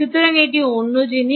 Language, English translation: Bengali, so thats another thing